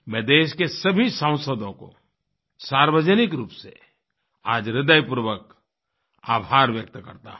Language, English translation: Hindi, Today, I publicly express my heartfelt gratitude to all MP's